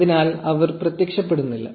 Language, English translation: Malayalam, So, they are not showing up